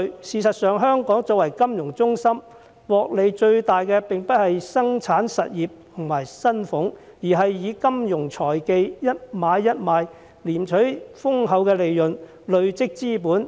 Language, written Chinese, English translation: Cantonese, 事實上，香港作為金融中心，獲利最大的並不是生產實業和薪俸階層，而是以金融財技，一買一賣賺取豐厚利潤，累積資本的人。, Actually in Hong Kong a financial centre production industries and the salaried class are not making the most money but those who reap juicy profits and accumulate capital through financial techniques and trading of stocks and properties